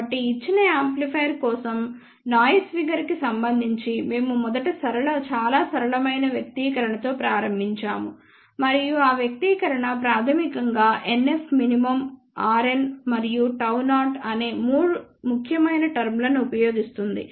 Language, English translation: Telugu, So, we first started with a very simple expression for noise figure for a given amplifier and that expression basically uses 3 important terms NF min, r n and gamma 0